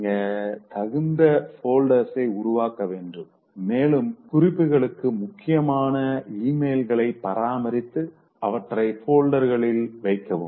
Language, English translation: Tamil, You should create folders appropriate once and then maintain important emails for future reference and keep them in folders